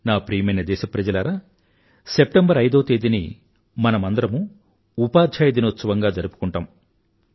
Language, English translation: Telugu, My dear countrymen, we celebrate 5th September as Teacher's Day